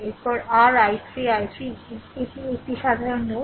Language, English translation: Bengali, Next is your i 3 i 3 is equal to this is a common node